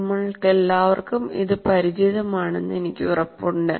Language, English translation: Malayalam, And I'm sure all of you are familiar with